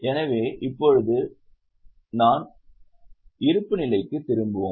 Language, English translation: Tamil, So, now we will go back to balance sheet